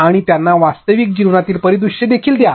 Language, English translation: Marathi, And also give them real life scenarios